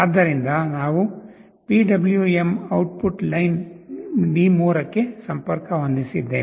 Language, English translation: Kannada, So, that we have connected to the PWM output line D3